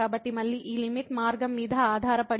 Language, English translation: Telugu, So, again this limit is depending on the path